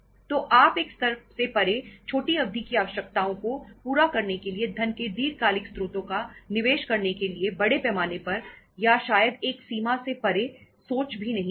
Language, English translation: Hindi, So you cannot think of means afford largely or maybe beyond a extent to invest long term sources of the funds to meet the short term requirements beyond a level